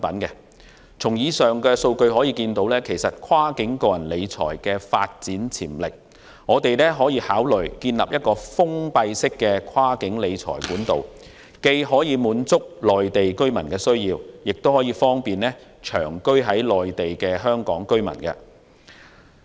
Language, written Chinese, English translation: Cantonese, 以上數據足證跨境個人理財的發展潛力，我們可以考慮建立封閉式的跨境理財管道，既可滿足內地居民的需要，亦方便長居於內地的香港居民。, Such data is sufficient proof of the development potential of cross - border personal wealth management . We can consider establishing a closed - end cross - border wealth management channel to meet the needs of Mainland residents and facilitate Hong Kong residents living in the Mainland on a permanent basis